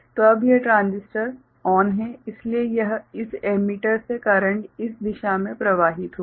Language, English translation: Hindi, So, now this transistor is ON so, this emitter from this emitter the current will flowing in this direction right